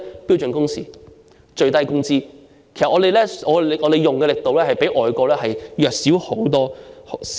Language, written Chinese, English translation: Cantonese, 標準工時和最低工資，但我們的力度卻遠較外國弱小。, We have standard working hours and the minimum wage but their strength is far weaker than that of measures adopted in overseas countries